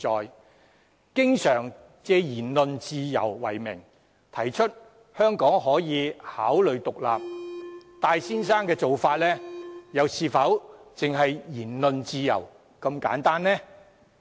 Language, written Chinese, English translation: Cantonese, 如果經常借言論自由為名，提出香港可以考慮獨立，戴先生的做法又是否單純涉及言論自由呢？, Mr TAI frequently proposes that Hong Kong can consider independence under the pretext of freedom of speech . Is his action simply a matter of freedom of speech?